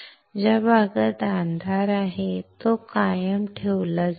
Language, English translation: Marathi, The area which is dark, will be retained will be retained